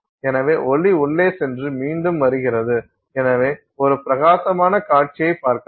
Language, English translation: Tamil, So, light goes in and comes back and so you see a bright display